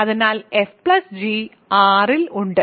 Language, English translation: Malayalam, So, fg is in R